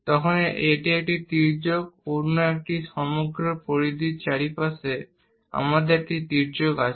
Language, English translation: Bengali, So, this is one of the slant, one other one; around the entire circumference, we have a slant